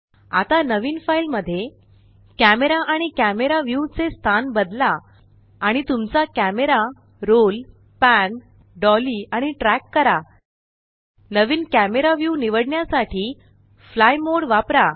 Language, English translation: Marathi, Now in a new file, change the location of the camera and the camera view, roll, pan, dolly and track your camera and use the fly mode to select a new camera view